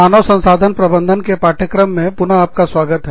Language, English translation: Hindi, Welcome back, to the course on, Human Resource Management